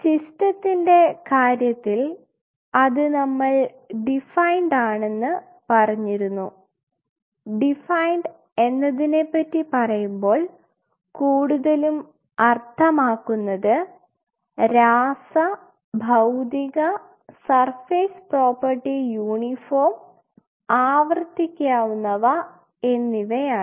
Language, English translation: Malayalam, Which includes in terms of the system what we meant is we said defined when you talked about defined we mostly mean Chemically, Physically, Surface Property Uniform and Repeatable